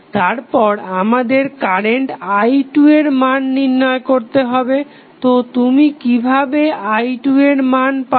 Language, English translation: Bengali, Next is you need to find out the value of current i 2, so how you will get i 2